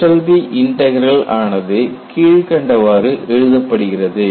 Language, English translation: Tamil, And when you do like this, this is your Eshelby's integral and what does the Eshelby's result says